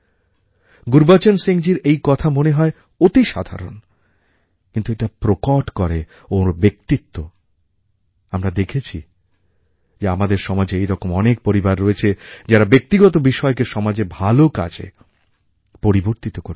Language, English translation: Bengali, This point made by Gurbachan Singh ji appears quite ordinary but this reveals how tall and strong his personality is and we have seen that there are many families in our society who connect their individual matters with the benefit of the society as a whole